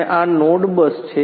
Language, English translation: Gujarati, And this is the node bus